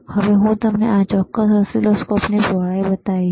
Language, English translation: Gujarati, And now let me show you the width of this particular oscilloscope,